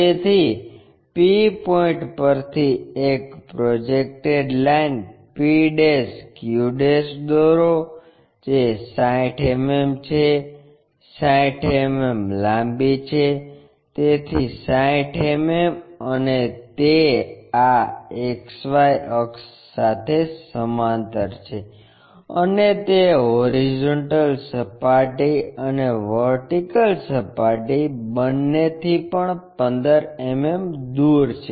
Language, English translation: Gujarati, So, from p point draw a projected line p' q', which is 60 mm PQ is 60 mm long, so 60 mm and it is parallel to this XY axis and 15 mm it is from both horizontal plane and vertical plane also